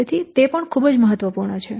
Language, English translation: Gujarati, So, it is very much important